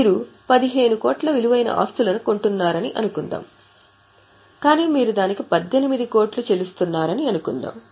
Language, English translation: Telugu, So, suppose you are acquiring assets worth 15 crore, but you are paying 18 crore, let us say